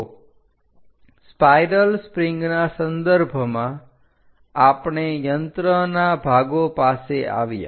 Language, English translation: Gujarati, So, in terms of a spiral springs, we come across in machine elements